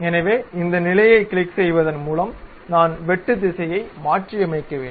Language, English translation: Tamil, So, I have to reverse the direction of cut by clicking this position